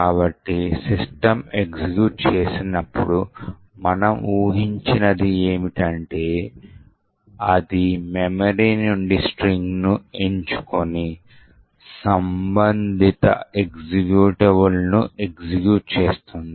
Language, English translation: Telugu, So, what is expected to happen is that when system executes, it would pick the string from the memory and execute that corresponding executable